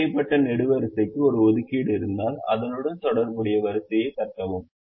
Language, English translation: Tamil, if a ticked column has an assignment, then tick the corresponding row